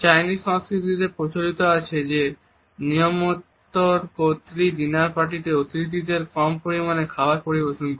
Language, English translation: Bengali, In Chinese culture its common for the hostess at the dinner party to serve to guests less food